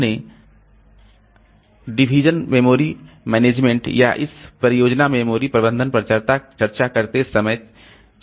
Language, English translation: Hindi, We have discussed in while discussing on partitioned memory management or this pageed memory management